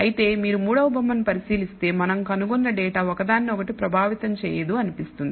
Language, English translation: Telugu, Whereas, if you look at the third figure the data that we find seems to be having no bearing on each other